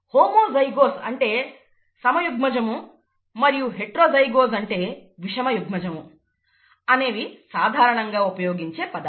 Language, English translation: Telugu, Homozygous and heterozygous, these are commonly used terms, it is nice to know